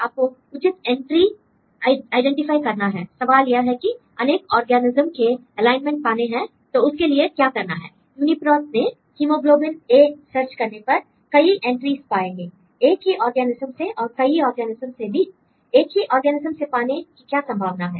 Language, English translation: Hindi, you have to identify relevant entries the question is you are to get the alignment for different organisms what if you do; UniProt, you search with the hemoglobin A you will get several entries from same organisms as well as different organisms what is the possibility of having same organisms why you get same organisms different data